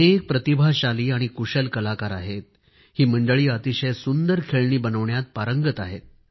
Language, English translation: Marathi, There are many talented and skilled artisans who possess expertise in making good toys